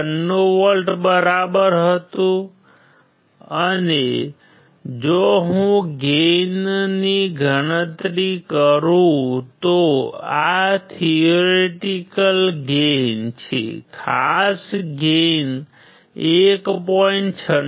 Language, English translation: Gujarati, 96 volts right and if I calculate gain then this is the practical gain; particular gain would be 1